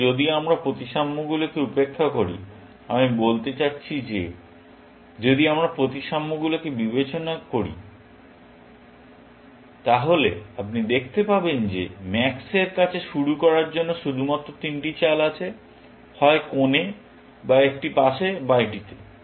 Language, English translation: Bengali, So, if we ignore symmetries, I mean, if we take into account symmetries, then you can see that max has only three moves to start with, either corner, or on a side, or on this